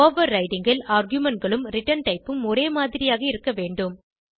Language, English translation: Tamil, In overriding the arguments and the return type must be same